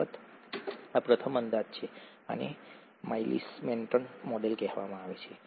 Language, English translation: Gujarati, This is of course, this is a first approximation, this is called the Michaelis Menton model